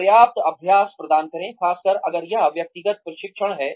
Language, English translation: Hindi, Provide adequate practice, especially, if it is hands on training